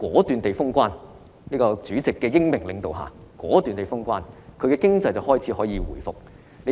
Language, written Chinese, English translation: Cantonese, 在主席的英明領導下，武漢願意果斷封城，現在市內經濟便可以開始回復。, Under the wise leadership of President XI Wuhan was willing to impose a lockdown decisively and the citys economy can now start to resume